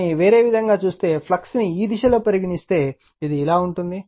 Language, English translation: Telugu, But, if you see in other way, if you can see direction of the flux is like this